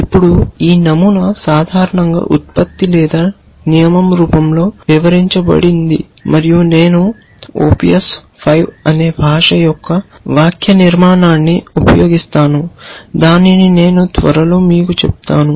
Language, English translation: Telugu, Now, this pattern is typically described in the form of a production or the rule and I will use the syntax of a language called Opius 5, which I will shortly tell you